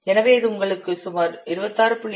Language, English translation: Tamil, So this will give you roughly 26